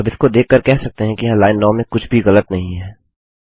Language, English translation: Hindi, Now looking at that, there is nothing wrong with line 9